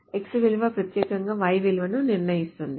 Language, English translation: Telugu, Value of x uniquely determines the value of y